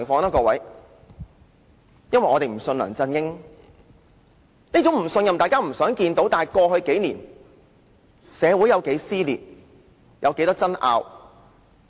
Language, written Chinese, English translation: Cantonese, 因為我們不相信梁振英，雖然大家都不想看到這種不信任，但過去幾年，社會有多少撕裂、多少爭拗？, The reason is that we do not trust LEUNG Chun - ying . We all hate to see such distrust but over the past several years how many cases involving social dissension and disputes have arisen?